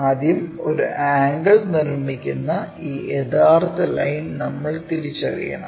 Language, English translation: Malayalam, First we have to identify this true line making an angle